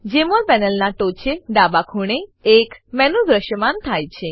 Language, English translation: Gujarati, A menu appears on the top left corner of the Jmol panel